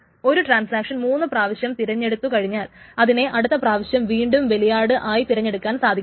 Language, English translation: Malayalam, So once a transaction is chosen victim for three times, it will not be chosen as a victim for the next time